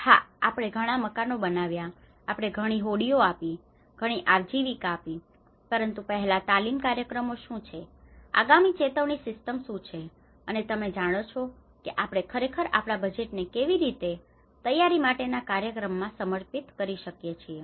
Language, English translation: Gujarati, Yes, we have constructed this many houses, we have given this many boats, we have given this many livelihoods, but before what are the training programs, what are the early warning systems you know how we can actually dedicate our budget in the preparedness programs